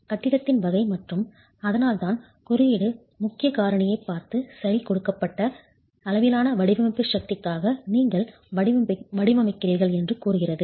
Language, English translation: Tamil, The category of the building, and that's the reason why the code then looks at importance factor and says, okay, you design for a given level of design force